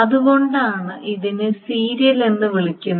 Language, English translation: Malayalam, Why is it called a serial